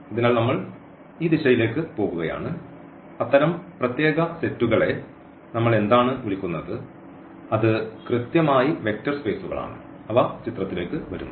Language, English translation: Malayalam, So, we are going into this direction that what do we call these such special sets and that is exactly the vector spaces coming into the picture